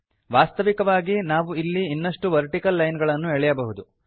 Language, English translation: Kannada, As a matter of fact, we can put more vertical lines